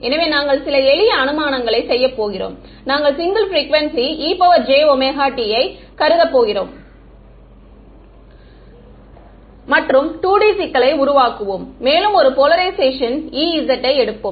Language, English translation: Tamil, So, we are going to make some simple assumptions, we are going to assume single frequency e to the j omega t, and we will make the problem 2D and we will take a single polarization E z